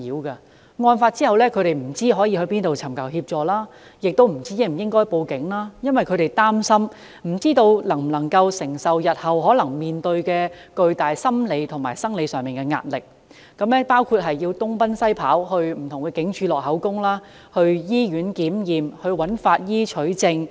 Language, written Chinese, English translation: Cantonese, 他們在案發後不知道可往哪裏求助，亦不知道應否向警方報案，因為他們擔心自己不知能否承受日後可能面對的巨大心理和生理壓力，包括要東奔西跑，前往不同警署錄取口供、到醫院檢驗、找法醫取證等。, They had no idea about where they should go to seek assistance after the incident and whether they should make a report to the Police . It was because they did not know whether they could withstand the immense psychological and physical pressure they were going to face . They might be required to run around among different places for statement taking at various police stations medical treatment in hospitals examinations by forensic pathologists etc